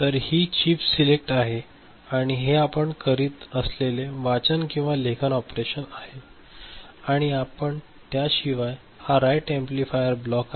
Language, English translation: Marathi, So, this is chip select and this is read or write operation that we are doing, other than that what else we see, this is a write amplifier block